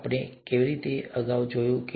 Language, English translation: Gujarati, How did we kind of, look at this earlier, okay